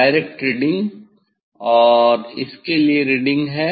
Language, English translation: Hindi, direct reading and there is reading for this one